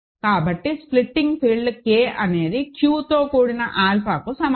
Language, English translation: Telugu, So, the splitting field K is equal to Q adjoined alpha, right